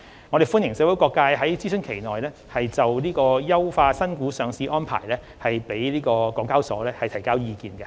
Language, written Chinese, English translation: Cantonese, 我歡迎社會各界在諮詢期內就優化新股上市安排向港交所提交意見。, I encourage all to provide their views on the enhancement of IPO arrangements to HKEX within the consultation period